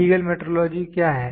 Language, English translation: Hindi, What is legal metrology